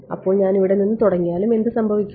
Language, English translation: Malayalam, So, even if I started from here, what will happen